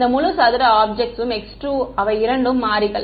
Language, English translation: Tamil, And this entire square object is x 2 those are the two variables